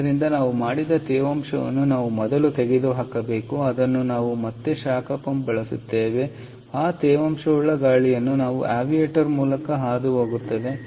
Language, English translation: Kannada, the way we done we we do it is again using a heat pump and we pass that moist air through the evaporator